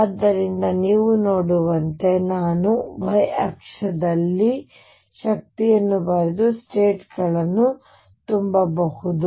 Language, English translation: Kannada, So, what you can see is that if I write the energy on the y axis and fill the states